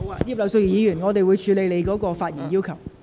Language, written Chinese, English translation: Cantonese, 葉劉淑儀議員，我稍後會處理你的發言要求。, Mrs Regina IP I will handle your request to speak later